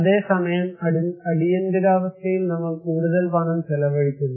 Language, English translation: Malayalam, Whereas, during the emergency, we are spending a lot more money